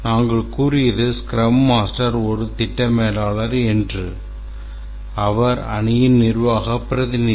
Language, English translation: Tamil, The Scrum master is the management representative in the team